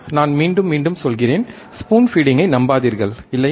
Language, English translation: Tamil, I tell you again and again, do not rely on spoon feeding, right